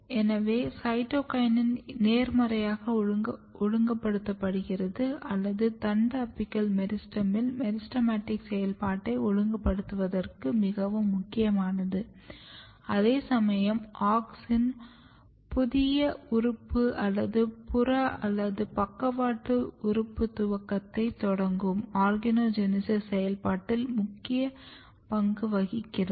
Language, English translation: Tamil, So, this suggest that maybe cytokinin is positively regulating or very important for regulating the meristematic activity in shoot apical meristem whereas, auxin is playing major role in the process of organogenesis starting new organ or the peripheral or the lateral organ initiation and that is how it happen